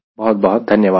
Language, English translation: Hindi, right, thank you very much